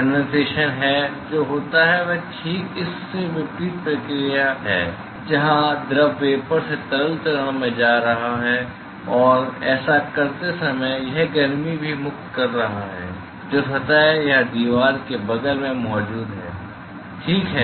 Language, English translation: Hindi, What happens in condensation is exactly the opposite process where the fluid is going from vapor to the liquid phase and while doing that it is also liberating heat which is taken up by the surface or a wall which is present next to it ok